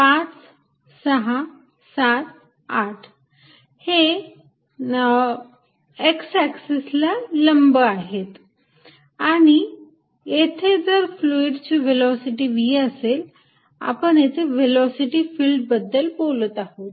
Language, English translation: Marathi, 5, 6, 7, 8 is perpendicular to the x axis and if there is a velocity of fluid v we talking about velocity field